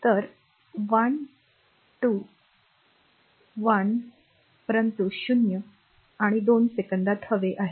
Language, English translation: Marathi, So, 1to t 1 to, but we want to in between 0 and 2 seconds